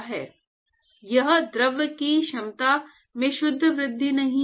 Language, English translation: Hindi, It is not pure increase in the capacity of the of the fluid